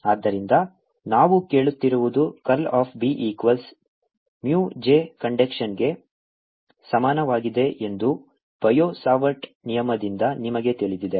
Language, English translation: Kannada, so what we are asking is: you know from the bio savart law that curl of b is equal to mu j conduction